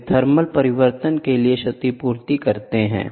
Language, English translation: Hindi, They compensate for the thermal change